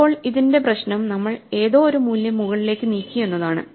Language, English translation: Malayalam, Now, the problem with this is we have moved an arbitrary value not the maximum value to the top